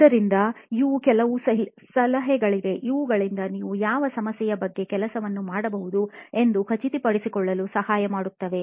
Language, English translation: Kannada, So, these are some tips that can help you in figuring out which of these problems should I work on